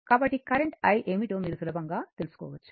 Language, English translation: Telugu, So, you can easily find out what is the current i